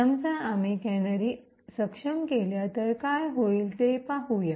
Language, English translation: Marathi, Now suppose we enable canaries let’s see what would happen